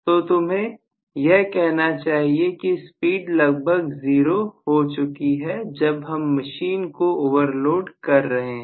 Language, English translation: Hindi, So, you should say that, rather the speed becomes almost 0, when I overload the machine, right